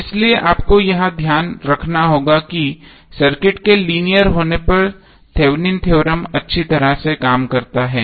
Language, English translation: Hindi, So you have to keep in mind that the Thevenin’s theorem works well when the circuit is linear